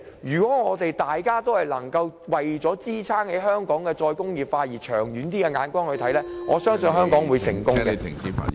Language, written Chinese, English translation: Cantonese, 如果大家能夠為了香港的"再工業化"以長遠眼光做事，我相信香港會成功。, If we can stay far - sighted in the pursuance of re - industrialization I believe Hong Kong will succeed